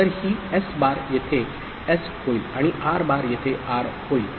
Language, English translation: Marathi, So, this S bar becomes S here and R bar becomes R here